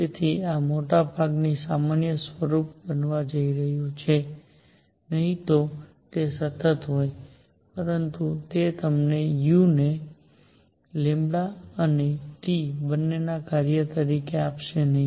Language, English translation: Gujarati, So, this is going to be a function of lambda T in most general form, otherwise it would have been a constant throughout, but that would not give you u as a function of lambda and T both